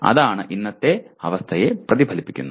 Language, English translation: Malayalam, So that is what it reflects the present situation